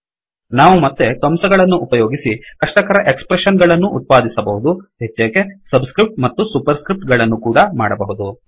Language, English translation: Kannada, Once again using braces we can produce complicated expressions involving subscripts and superscripts